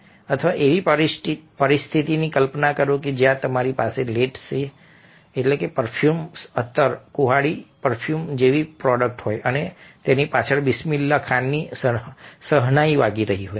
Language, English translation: Gujarati, or imagine a situation where you have a product like a, let say, perfume, axe perfume, and behind that bismillah khans shahanayi is playing